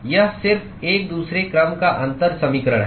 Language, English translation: Hindi, It is just a second order differential equation